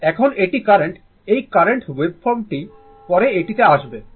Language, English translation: Bengali, Now, this is the current this is the say current waveform will come to this later